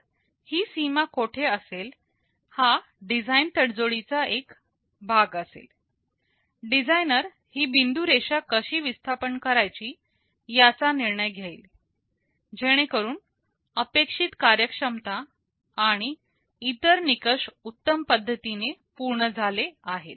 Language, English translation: Marathi, So, where this boundary will be is a matter of design tradeoff, the designer will decide how to shift this dotted line, so that desired performance and other criteria are satisfied in the best possible way